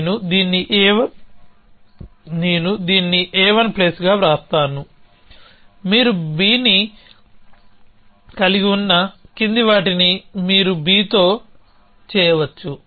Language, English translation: Telugu, So, I will just write this as a 1 plus the following that you have holding b, you can do something with b